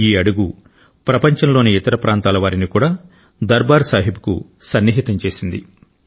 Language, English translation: Telugu, With this step, the Sangat, the followers all over the world have come closer to Darbaar Sahib